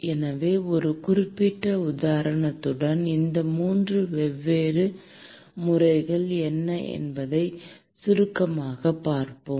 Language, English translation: Tamil, So, let us briefly look into what are these 3 different modes with a specific example